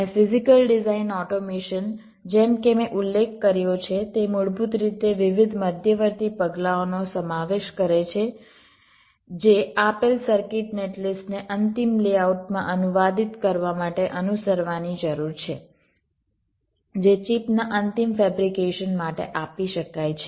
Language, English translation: Gujarati, ok, and physical design automation, as i had mentioned, it basically consists of the different intermediates, steps that need to be followed to translate ah, given circuit net list, into the final layout which can be given for final fabrication of the chip